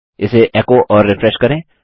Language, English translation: Hindi, Lets echo it out and refresh